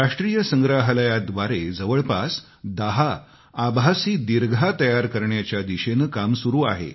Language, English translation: Marathi, National museum is working on introducing around ten virtual galleries isn't this interesting